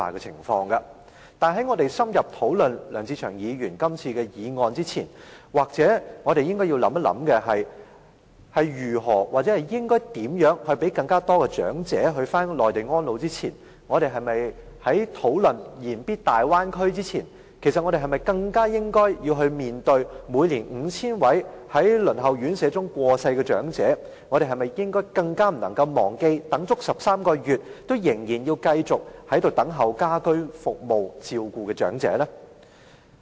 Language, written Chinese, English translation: Cantonese, 可是，在深入討論梁志祥議員今天這項議案前，也許我們應該想一想，在考慮讓更多長者返回內地安老前、在言必大灣區前，我們是否更應該面對每年 5,000 名在輪候院舍時過世的長者、更不應該忘記等待了13個月，卻仍然要繼續等候家居照顧服務的長者呢？, However before we have an in - depth discussion on Mr LEUNG Che - cheungs motion before we consider whether or not to let more elderly persons to live in the Mainland for their twilight years and before we frequently mention the Guangdong - Hong Kong - Macao Bay Area perhaps we should first think about the 5 000 elderly persons who pass away every year whiling waiting for a place in residential care homes and remind ourselves not to forget the elderly persons who have waited 13 months and are still waiting for home care services